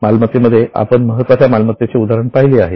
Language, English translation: Marathi, In the assets, we are already seeing the major examples of assets